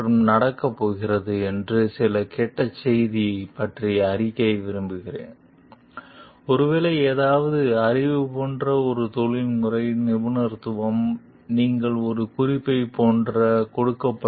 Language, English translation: Tamil, And to like report about some bad news that is going to happen, maybe something which a professional like knowledge, expertises given you like hint on